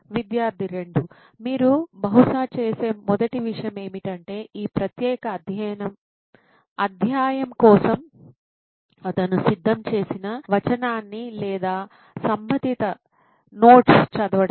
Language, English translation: Telugu, Student 2: So the first thing you would probably do is either read the text or the relevant notes that he had prepared for that particular chapter